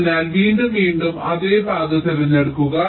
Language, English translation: Malayalam, so again, choose the same path